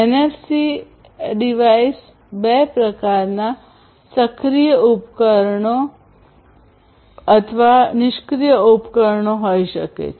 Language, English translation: Gujarati, And a NFC device can be of any two types, active device or passive device